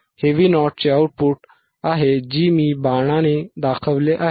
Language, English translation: Marathi, This is output at V o which I have shown with arrow, this one